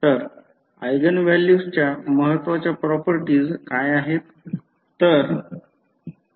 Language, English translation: Marathi, So, what are the important properties of eigenvalues